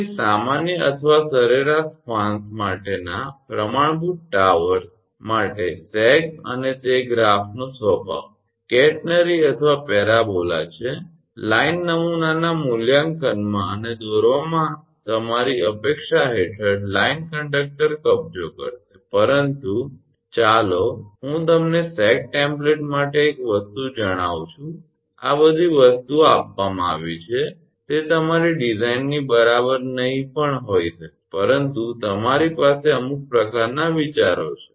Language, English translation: Gujarati, So, for standard towers for normal or average spans the sag and the nature of the curve catenary or parabola, that the line conductor will occupy under expected your loading conditions in evaluated and plotted on template, but the let me tell you one thing for sag template all these things are given it may not be your exactly to your design, but you have some kind of ideas